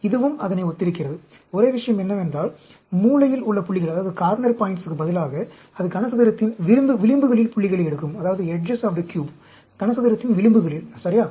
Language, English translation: Tamil, This is also similar to that; only thing is, instead of the corner points it takes the points at the edges of the cube, at the edges of the cube, ok; that is the only difference